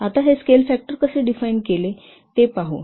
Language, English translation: Marathi, Now let's see how this scale factor is refined